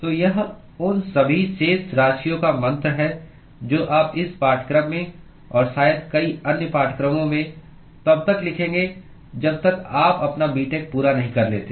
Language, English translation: Hindi, So, this is the mantra of all the balances that you would be writing in this course and perhaps in many other courses till you finish your B